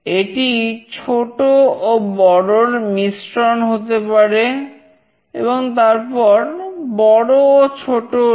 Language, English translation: Bengali, It could be combination small and big, and then big and small